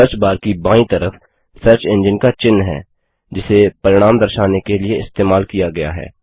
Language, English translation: Hindi, On the left side of the Search bar, the logo of the search engine which has been used to bring up the results is seen